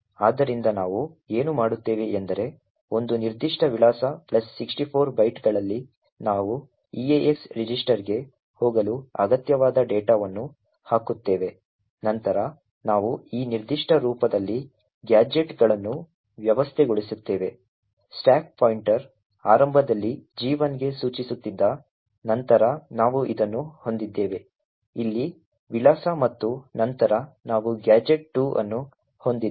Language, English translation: Kannada, So what we do is that at a particular address plus 64 bytes we put the necessary data which we want to move into the eax register, then we arrange gadgets in this particular form, the stack pointer is pointing to gadget 1 initially, then we have this address over here and then we have gadget 2